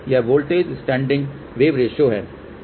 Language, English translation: Hindi, It stands for voltage standing wave ratio